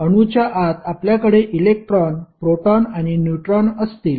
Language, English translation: Marathi, Inside the atom you will see electron, proton, and neutrons